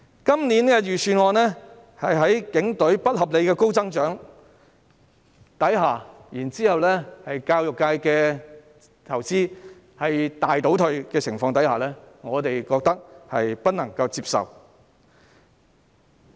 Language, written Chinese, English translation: Cantonese, 今年的預算案對警隊的撥款有不合理的高增長，以及對教育界的投資大為倒退，我們覺得不能接受。, In this years Budget there is unreasonably high growth in the funding for the Police and substantial retrogression in investment in the education sector . We find it unacceptable . As we can see the recent development is actually even grimmer